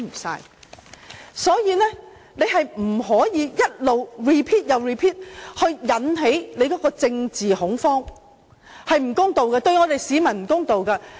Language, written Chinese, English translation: Cantonese, 所以，他們不能一直 repeat， 引起政治恐慌，這對市民是不公道的。, So they should not keep repeating their argument to stir up political fear . This is unfair to the people